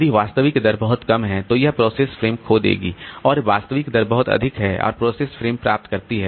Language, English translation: Hindi, If the actual rate is too low, then the process will lose frames and if the actual rate is too high then the process gains frames